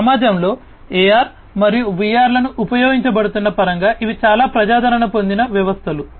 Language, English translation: Telugu, These are quite popular systems in terms of AR and VR being used in our society